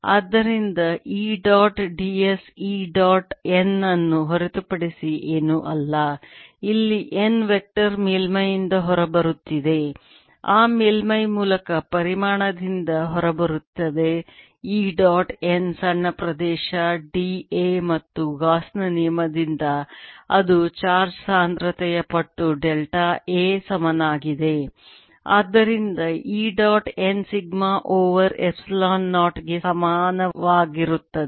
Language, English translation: Kannada, therefore e dot d s is nothing but e dot n, where n where the vector coming up out of the surface, coming out of the volume through that surface, e dot n times that small area, d, b, a, and there should be equal to charge density times delta a divided by epsilon zero, by gauss's law, and therefore e dot n is equal to sigma over epsilon zero